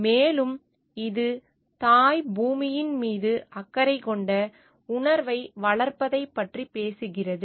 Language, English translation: Tamil, And this talks of nurturing a feeling of having care for mother earth